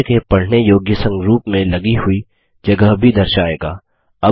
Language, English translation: Hindi, It also shows the space mounted on in a human readable format